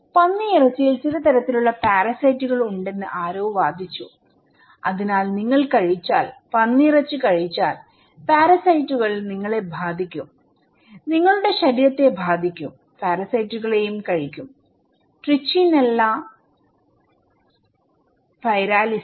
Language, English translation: Malayalam, So, somebody argued that the pork it carries some kind of parasites so, if you are eating, consuming pork you will be affected by parasites, your body will be affect, consuming also parasites; Trichinella spiralis